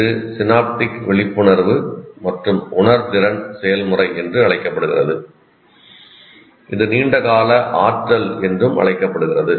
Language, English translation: Tamil, This is also called the process of synaptic awareness and sensitivity which is called long term potentiation